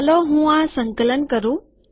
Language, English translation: Gujarati, Let me compile this